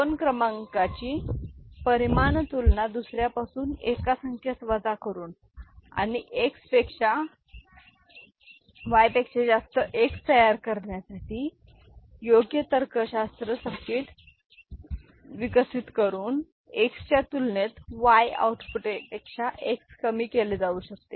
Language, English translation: Marathi, Magnitude comparison of two numbers can be done by subtracting one number from the other and developing suitable logic circuit to generate this X greater than Y, X is equal to Y, X less than Y output